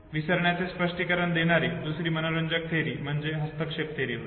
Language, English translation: Marathi, The other interesting theory which explains forgetting is the interference theory okay